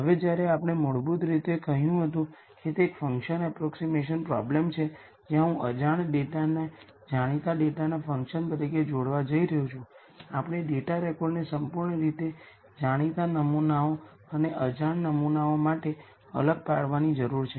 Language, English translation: Gujarati, Now that we basically said it is a function approximation problem where I am going to relate the unknown data as a function of known data, we need to segregate the data record to completely known samples and samples that are unknown